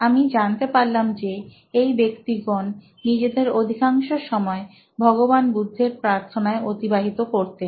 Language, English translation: Bengali, And I found out that the people had devoted a lot of time into praying Buddha, Lord Buddha